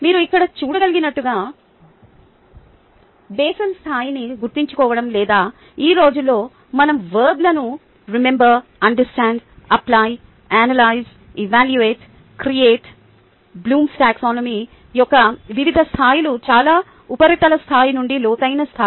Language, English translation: Telugu, as you can see here, the remembering the basin level or nowadays we use verbs to remember, to understand, to apply, to analyze, to evaluate and to create or design the various levels of the blooms taxonomy, from the most surface level to the deepest level